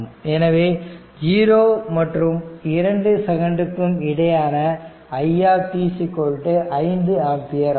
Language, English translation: Tamil, Now, therefore, in between your 0 to 2 micro second, it is 5 ampere, it is 5 ampere